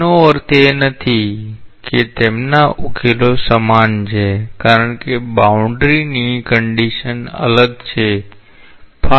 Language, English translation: Gujarati, It does not mean that their solutions are same because boundary conditions are different